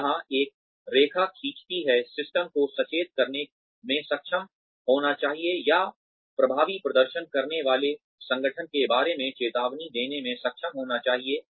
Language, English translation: Hindi, So, where does one draw the line, the system should be able to weed out, or should be able to warn, the organization regarding in effective performers